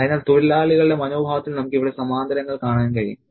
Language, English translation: Malayalam, So, we can see parallels here in the attitudes of the workers